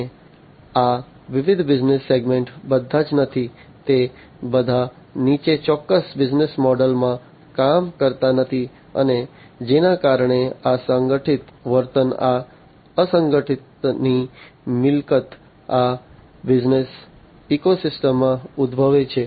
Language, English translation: Gujarati, And these different business segments are not all, they do not all function in the following a particular business model and because of which this unstructured behavior, this property of unstructuredness, this arises in these business ecosystems